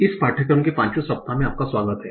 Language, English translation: Hindi, So, welcome to the fifth week of this course